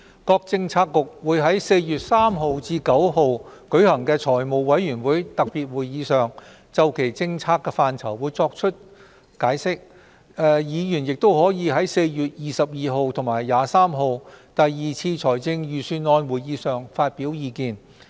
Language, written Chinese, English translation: Cantonese, 各政策局會在4月3日至9日舉行的財務委員會特別會議上，就其政策範疇作出解釋，議員亦可在4月22日及23日的第二次財政預算案會議上發表意見。, The various Policy Bureaux will offer explanations concerning their respective portfolios at the special meetings of the Finance Committee to be held between 3 and 9 April and Honourable Members may also put forth their views at the second Budget meeting on 22 and 23 April